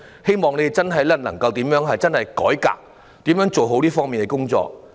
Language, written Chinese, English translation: Cantonese, 希望當局真的能夠進行改革，做好這方面的工作。, I hope the authorities can really conduct a review and do the work in this regard properly